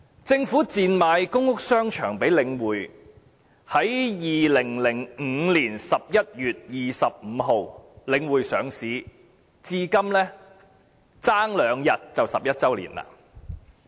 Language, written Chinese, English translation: Cantonese, 政府賤賣公屋商場予領匯，由2005年11月25日領匯上市至今，差兩天便11周年。, The Government sold the shopping arcades of public housing estates to The Link at rock - bottom prices . In two days it will be the 11 anniversary of The Links listing on 25 November 2005